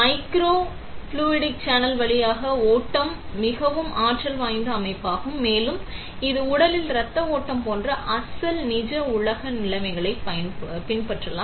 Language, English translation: Tamil, The flow through a microfluidic channel it is a more dynamic system and it might emulate original real world conditions like blood flow in the body